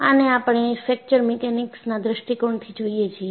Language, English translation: Gujarati, So, this we look at, from the point of view of fracture mechanics